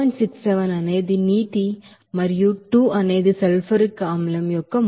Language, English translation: Telugu, 67 is the mole of water and 2 is mole of sulfuric acid